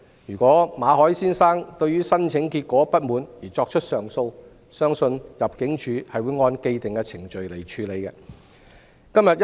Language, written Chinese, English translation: Cantonese, 如馬凱先生對於申請結果不滿而提出上訴，相信入境處會按既定程序處理。, Mr Victor MALLET may lodge an appeal if he is dissatisfied with the outcome of his application . It is believed that ImmD will follow the established procedures in handling his appeal